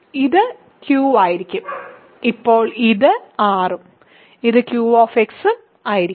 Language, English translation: Malayalam, So, this will be q now this will be r and this will be q